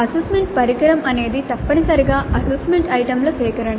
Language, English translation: Telugu, Now an assessment instrument essentially is a collection of assessment items